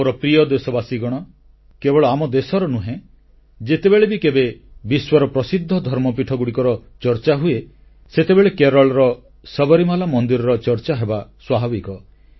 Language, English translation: Odia, My dear countrymen, whenever there is a reference to famous religious places, not only of India but of the whole world, it is very natural to mention about the Sabrimala temple of Kerala